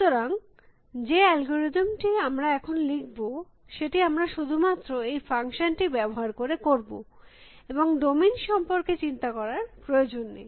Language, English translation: Bengali, So, the algorithm that we will write now, you will just use this functions and do not worry about what the domain is essentially